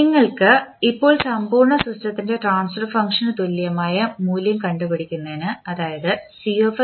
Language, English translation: Malayalam, You now compile the value that is the transfer function of the complete system that is Cs upon Rs